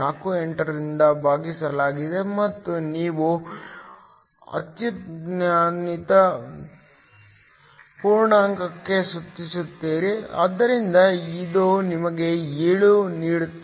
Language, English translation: Kannada, 48 and you round off to the highest integer, so this gives you 7